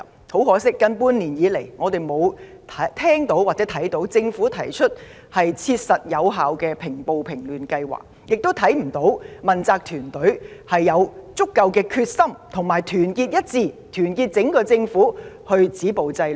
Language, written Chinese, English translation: Cantonese, 很可惜，近半年來，我們看不到政府提出切實有效的計劃平暴平亂，亦看不到問責團隊展現足夠的決心和團結精神，帶領整個政府止暴制亂。, Unfortunately in the past half year we have not seen the Government make any practical and effective plans to stop violence and curb disorder . Nor have we seen the Chief Executives politically appointed team display enough determination and solidarity to lead the whole Government to stop violence and curb disorder